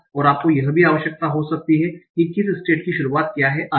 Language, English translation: Hindi, And you might also need what is the beginning of a state and so on